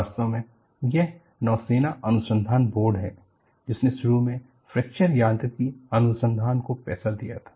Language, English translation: Hindi, In fact, it is the naval research board, which funded fracture mechanic research initiate